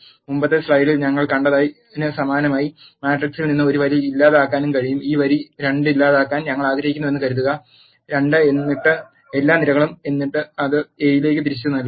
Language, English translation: Malayalam, Similar to what we have seen in the earlier slide we can also delete a row from the matrix which is, let us suppose we want to delete this row 2 you have to say minus 2 and then all columns and then assign it back to A